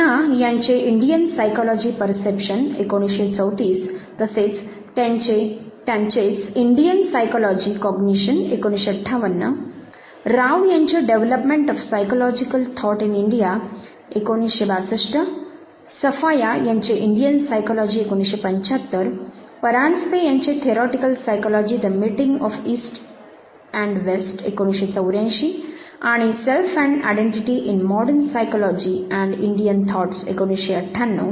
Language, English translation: Marathi, ‘Indian psychology:perception’ by Sinha in 1934, Indian psychology cognition again by the same author in 1958 ‘Development of psychological thought in India’ by Rao, Indian psychology by Safaya, ‘Theoretical psychology: the meeting of east and west’, and ‘Self and identity’ in modern psychology in Indian thoughts by Paranjpe, ‘Self and identity’ in modern psychology in Indian thought again by Paranjpe the first one was 1984 and the second one was 1998